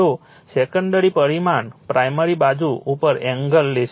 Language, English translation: Gujarati, So, who will take the secondary parameter to the primary side